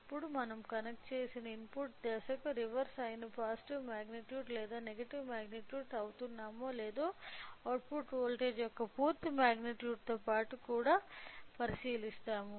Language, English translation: Telugu, Now, we will also observe along with a out magnitude of the output voltage whether we are getting a positive magnitude or a negative magnitude which is reverse of the input phase what we have connected it